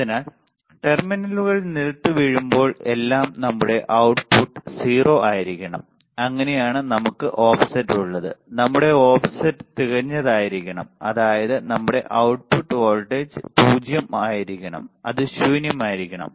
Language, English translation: Malayalam, So, that when everything when the terminals are grounded our output should be 0, that is how we have offset we have our offset should be perfect such that our output voltage should be 0 it should be null right